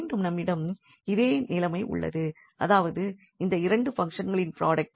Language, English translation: Tamil, So, again we have a similar situation that this is a product of these two functions